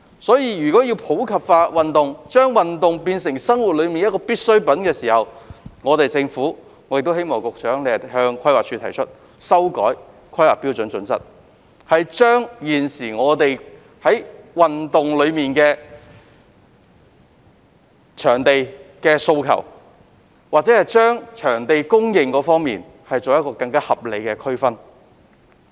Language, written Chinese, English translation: Cantonese, 因此，如果要普及化運動，把運動變成生活中必需的部分，我希望局長會向規劃署提出修訂《香港規劃標準與準則》，就不同地區的運動場地供應作出更合理的區分。, Therefore if we are to promote sports in the community and make sports an integral part of our lives I hope the Secretary will advise the Planning Department to revise the Hong Kong Planning Standards and Guidelines HKPSG and make reasonable provision of sports venues and facilities in the light of the specific situation of each district